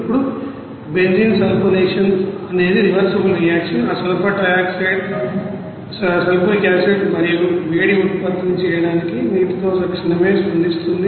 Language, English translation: Telugu, Now sulfonation of benzene is a reversible reaction that we know that sulfur trioxide readily reacts with water to produce sulfuric acid and heat